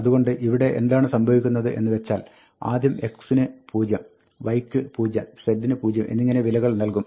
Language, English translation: Malayalam, So, what happens here is that, first a value of 0 will be fixed for x, and then a value of 0 will be fixed for y, then 0 for z